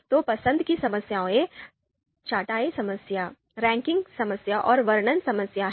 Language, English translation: Hindi, So there are choice problems, sorting problem, ranking problem and description problem